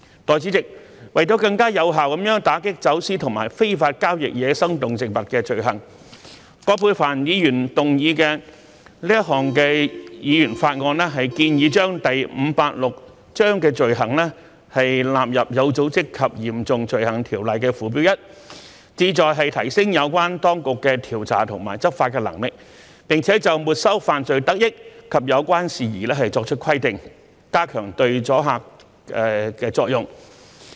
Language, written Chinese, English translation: Cantonese, 代理主席，為了更有效地打擊走私與非法交易野生動植物罪行，葛珮帆議員動議的這項議員法案建議將第586章的罪行納入《有組織及嚴重罪行條例》附表 1， 旨在提升有關當局的調查和執法能力，並就沒收犯罪得益及有關事宜作出規定，加強阻嚇作用。, Deputy Chairman to facilitate the combating of offences involving wildlife trafficking and illegal trade the Members Bill moved by Ms Elizabeth QUAT proposes the inclusion of offences under Cap . 586 into Schedule 1 to OSCO seeking to enhance investigative and enforcement capacity of the relevant authorities and provide for the confiscation of the proceeds of crime and related matters to enhance deterrence